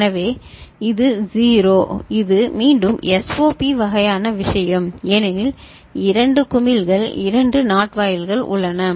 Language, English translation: Tamil, So, this is again a SOP kind of thing because of two bubbles two NOT gates are there